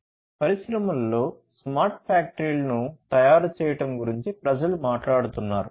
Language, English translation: Telugu, People are talking about making smart factories in the industries